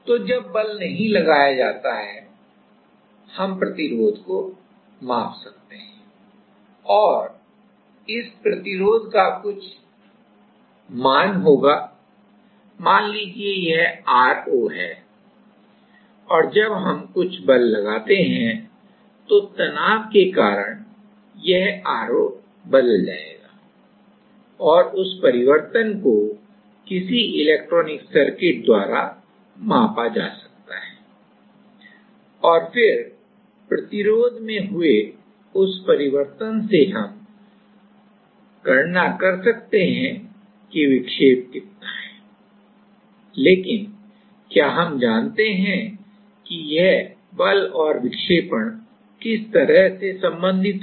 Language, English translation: Hindi, So, we can measure the resistance and while the force is not applied, the resistance will have some value, let us say r0 and while we apply some force, because of the stress is this r0 will change and that change can be measured / some electronic circuit and then from that change in resistance we can calculate, how much is the deflection, but do we know that how this force and deflection is related